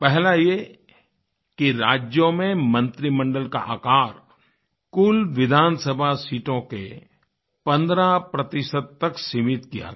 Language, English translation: Hindi, First one is that the size of the cabinet in states was restricted to 15% of the total seats in the state Assembly